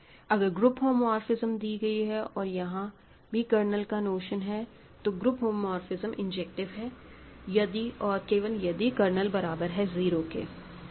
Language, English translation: Hindi, If you have a group homomorphism that also has a notion of a ring, kernel, the group homomorphism happens to be a injective map if and only if the kernel is 0